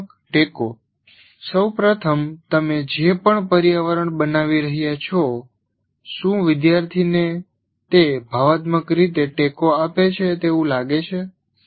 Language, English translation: Gujarati, First of all, whatever environment that you are creating, which is dominantly has to be created by the teacher, does the student find it emotionally supported